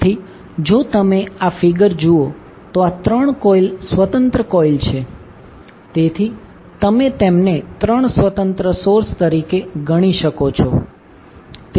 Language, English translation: Gujarati, So, if you see this particular figure, so, these 3 coils are independent coils, so, you can consider them as 3 independent sources